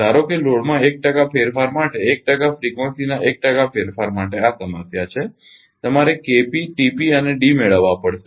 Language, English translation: Gujarati, Assume the change in load 1 percent for 1 percent change in frequency right this is the problem you have to obtain K p T p and D